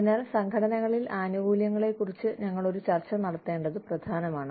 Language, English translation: Malayalam, So, it is important that, we have a discussion, on benefits, in organizations